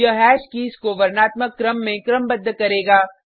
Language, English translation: Hindi, This will sort the hash keys in alphabetical order